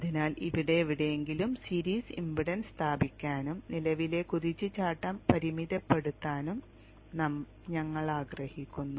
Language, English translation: Malayalam, Therefore, we would like to put a series impedance somewhere here and limit the current search